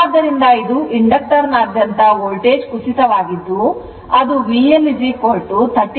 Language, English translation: Kannada, So, this is the Voltage drop across the inductor that is your V L is equal to 39